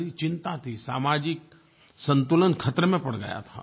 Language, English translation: Hindi, It was a huge concern as social balance was in danger